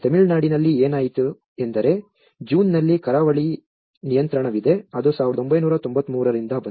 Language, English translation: Kannada, In Tamil Nadu what happened was there is a coastal regulation June which has a blip, which has been from 1993